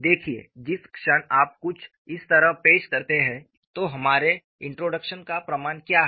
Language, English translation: Hindi, See, the moment you introduce something like this, the proof of our introduction is what